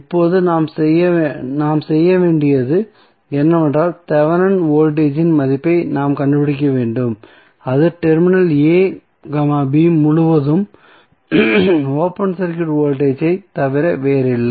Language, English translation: Tamil, Now, next task what we have to do is that we have to find out the value of Thevenin voltage and that is nothing but the open circuit voltage across terminal a, b